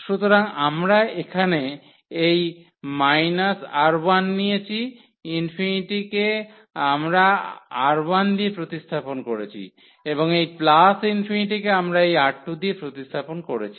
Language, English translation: Bengali, So, here we have taken this minus R 1 for this infinity we have replaced by R 1 and for this R 2 we have replaced by this is replaced by this plus infinity there